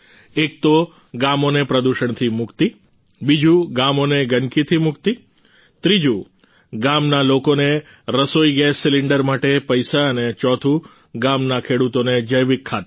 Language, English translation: Gujarati, One, the village is freed from pollution; the second is that the village is freed from filth, the third is that the money for the LPG cylinder goes to the villagers and the fourth is that the farmers of the village get bio fertilizer